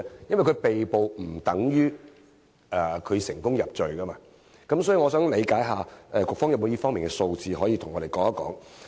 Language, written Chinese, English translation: Cantonese, 因為被捕不等於入罪，所以我想理解一下，局方有沒有這方面的數字，可以向我們提供？, Because an arrest does not mean a conviction . Hence I would like to find out if the Bureau can provide us with any figures in this regard